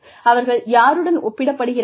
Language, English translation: Tamil, You know, who are they been compared to